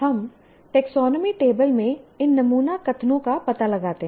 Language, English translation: Hindi, Now what we do, we locate these sample statements in the taxonomy table